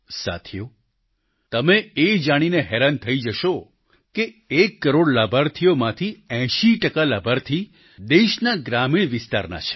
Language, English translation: Gujarati, you will be surprised to know that 80 percent of the one crore beneficiaries hail from the rural areas of the nation